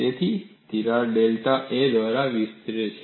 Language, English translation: Gujarati, So, the crack extends by delta A